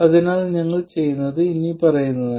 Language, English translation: Malayalam, So what we do is the following